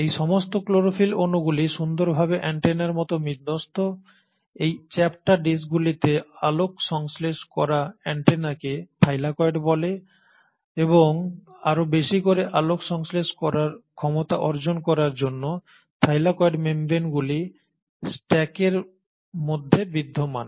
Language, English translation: Bengali, So all these chlorophyll molecules, they beautifully arrange like antennas, light harvesting antennas in these flattened discs called Thylakoid, and to accommodate more and more harvesting potential the Thylakoid membranes exist in stacks